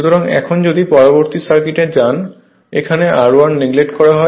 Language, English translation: Bengali, So, now if you go to the next circuit here R i is neglected